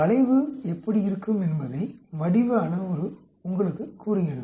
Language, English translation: Tamil, The shape parameter tells you how the curve looks like